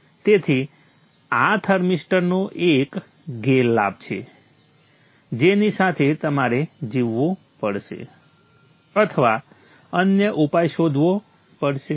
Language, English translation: Gujarati, So this is one disadvantage of the thermister which you may have to live with or look for another solution